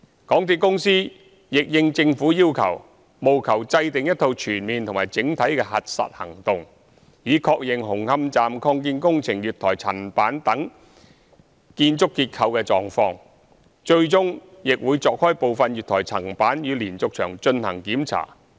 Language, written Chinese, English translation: Cantonese, 港鐵公司亦應政府要求，務求制訂一套全面及整體的核實行動，以確認紅磡站擴建工程月台層板等建築結構的狀況，最終亦會鑿開部分月台層板與連續牆進行檢查。, In addition the MTRCL will endeavor to draw up a holistic overall action plan for conducting verification as requested in order to ascertain the condition of the platform slab of the Hung Hom Station Extension . Eventually some of the connections between the platform slabs and the diaphragm walls will be opened up for inspection